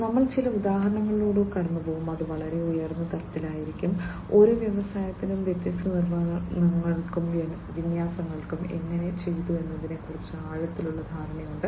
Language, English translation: Malayalam, We will go through some of the examples, and that will be at a very high level and each industry has its own in depth understanding about how it has done the different implementations and deployments and so on